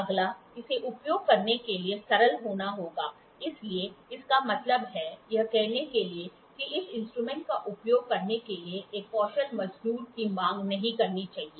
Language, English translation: Hindi, Next, it has to be simple for using, so that means, to say it should not demand a skill the labourer to use this instrument